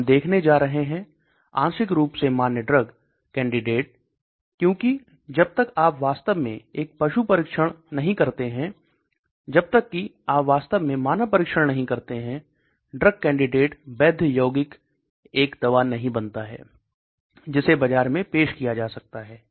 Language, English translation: Hindi, We are going to look at why partially validated because unless you actually do an animal trials, unless you actually do human volunteer trials validated compound does not become a drug which can be introduced in the market